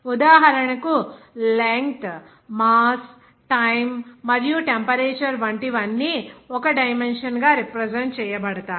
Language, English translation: Telugu, For example like length, mass time and temperature, all are represented as a dimension